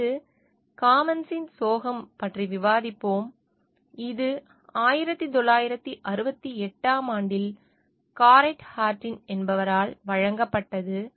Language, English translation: Tamil, Next, we will discuss about the tragedy of commons and this was given by Garret Hardin in 1968